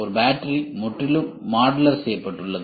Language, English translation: Tamil, This battery is completely made modular